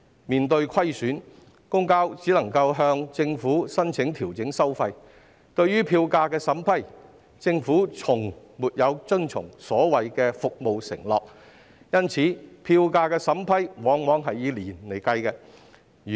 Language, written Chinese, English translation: Cantonese, 面對虧損，公共交通營辦商只能向政府申請調整收費，但對於票價審批，政府卻從來沒有遵從其所謂服務承諾，因此，票價審批往往要以年作計算。, Facing losses public transport operators can only apply to the Government for fare adjustments . However in respect of vetting and approving fare adjustment applications the Government never observes its so - called performance pledge . Consequently it often takes years for such applications to be vetted and approved